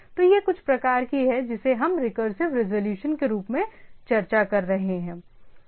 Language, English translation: Hindi, So, it is some sort of what we are discussing as the recursive resolution